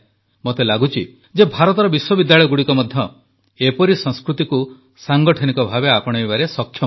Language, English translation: Odia, I think that universities of India are also capable to institutionalize this culture